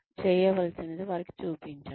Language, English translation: Telugu, Show them, what is required to be done